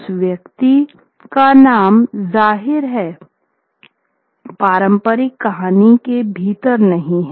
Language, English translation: Hindi, Obviously that is not there within the traditional story